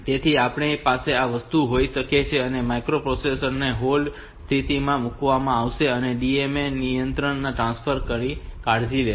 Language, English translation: Gujarati, So, we can have this thing we can have this microprocessor will be put into a hold condition and the DMA controller will be taking care of this transfer